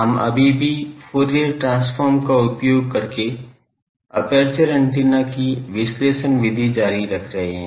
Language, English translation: Hindi, We are still continuing the analysis method of aperture antenna by using Fourier transform